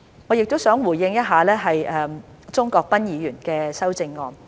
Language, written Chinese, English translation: Cantonese, 我亦想回應鍾國斌議員的修正案。, I also wish to respond to the amendments proposed by Mr CHUNG Kwok - pan